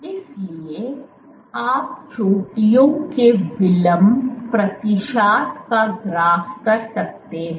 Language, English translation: Hindi, So, you can plot time delay percentage of peaks